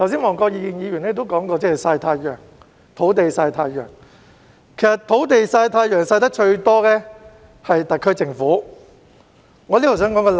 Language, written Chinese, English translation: Cantonese, 黃國健議員剛才提到"土地曬太陽"，其實曬得最多的是特區政府的土地。, Mr WONG Kwok - kin just now mentioned the sites that have been left idle under the sun but actually most of the idle land belongs to the SAR Government